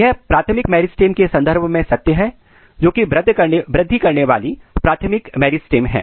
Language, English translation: Hindi, This is established with respect to the primary meristem, the growing primary meristem